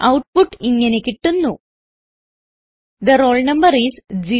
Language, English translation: Malayalam, We get the output as The roll number is 0